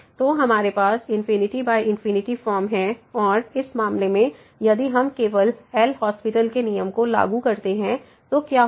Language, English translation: Hindi, So, we have the infinity by infinity form and in this case if we simply apply the L’Hospital’s rule what will happen